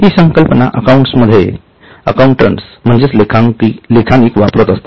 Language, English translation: Marathi, This is the terminology which accountants use